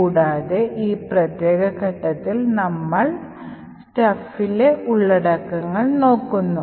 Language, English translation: Malayalam, And, at this particular point we look at the contents of the stack